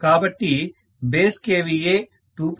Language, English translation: Telugu, So base kVA is 2